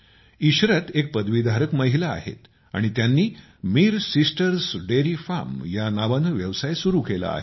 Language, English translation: Marathi, Ishrat, a graduate, has started Mir Sisters Dairy Farm